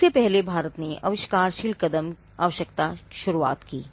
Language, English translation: Hindi, Now, earlier before India introduced the inventive step requirement